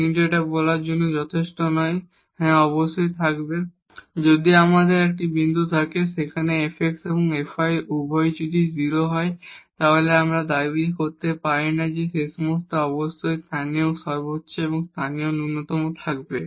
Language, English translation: Bengali, But this is not sufficient to say that yes definitely there will be a if we have a point where f x and f y both are 0 then we cannot claim that at this point certainly there will be a local maximum or local minimum